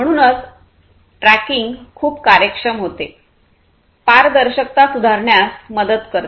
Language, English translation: Marathi, So, tracking becomes a very efficient so, that basically helps in improving the transparency